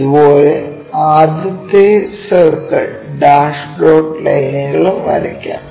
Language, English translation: Malayalam, Similarly, first circle dash dot lines we will show it